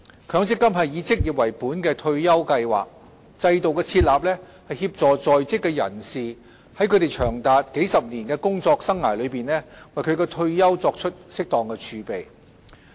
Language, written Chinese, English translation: Cantonese, 強積金是以職業為本的退休計劃，制度的設立，是協助在職人士在他們長達數十年的工作生涯中為其退休作出適當儲備。, The MPF System as an occupation - based retirement plan was established to help working people accumulate retirement savings appropriately throughout their working lives which may last for as long as several decades